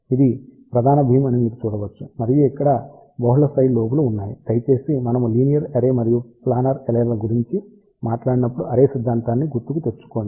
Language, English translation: Telugu, You can see that this is the main beam and there are multiple side lobes are there, please recall array theory when we talked about linear array and planar array I did mentioned to you there will be side lobe levels